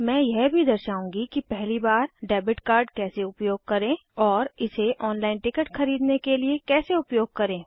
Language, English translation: Hindi, I will also demonstrate the first time use of a debit card and how to use this to purchase the ticket online